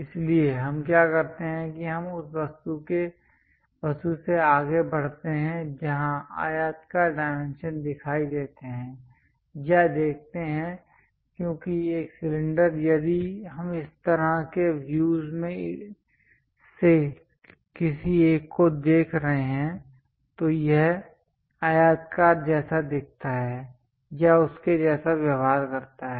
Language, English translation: Hindi, So, what we do is we go ahead from the object where rectangular dimensions are visible or views because a cylinder if we are looking from one of the view like this side, it behaves like or it looks like a rectangle